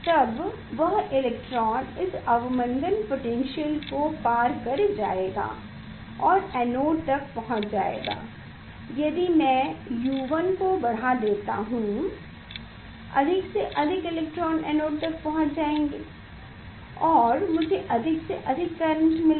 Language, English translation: Hindi, then that electron will overcome this retarded potential and it will reach to the anode I will increase the U 1 and more and more electron will reach to the anode and I will get more and more current